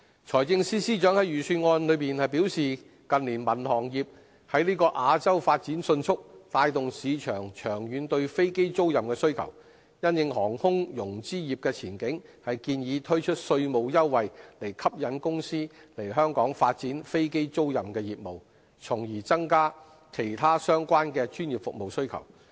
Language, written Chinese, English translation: Cantonese, 財政司司長在預算案中表示近年民航業在亞洲發展迅速，帶動市場長遠對飛機租賃的需求，因應航空融資業的前景，建議推出稅務優惠，以吸引公司來香港發展飛機租賃業務，從而增加其他相關的專業服務需求。, The Financial Secretary indicated in the Budget that rapid development of the civil aviation industry in Asia in recent years has generated a long - term demand for aircraft leasing in the market and as aircraft financing was a very promising business the Government planned to offer tax concession to attract aircraft leasing companies to develop their business in Hong Kong thereby increasing the demand for other related professional services